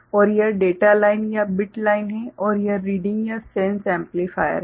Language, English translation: Hindi, And this is the data line or the bit line and this is the reading or sense amplifier